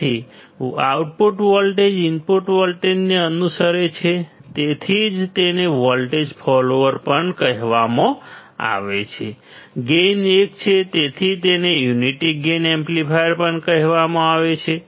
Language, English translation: Gujarati, So, output voltage follows the input voltage that is why it is also called voltage follower; the gain is 1 that is why is it is also called unity gain amplifier